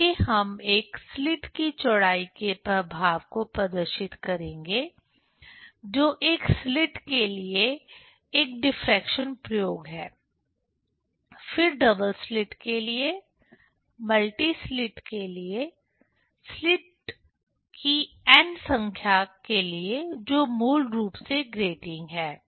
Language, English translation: Hindi, Next we will demonstrate the effect of width of a single slit that is a diffraction experiment for single slit; then for double slit; for multi slits, n number of slits that is basically grating